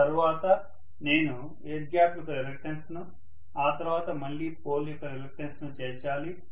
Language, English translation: Telugu, Then I have to include the reluctance of the air gap, then the reluctance of the pole again, right